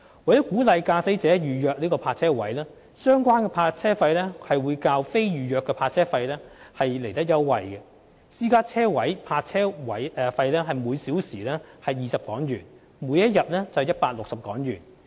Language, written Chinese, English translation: Cantonese, 為鼓勵駕駛者預約泊車位，相關泊車費會較非預約泊車位優惠，私家車泊車位為每小時20港元，每天為160港元。, To encourage booking of parking spaces by motorists the parking fees of private cars will be HK20 per hour and HK160 per day which are concessionary rates as compared with those of non - reserved parking spaces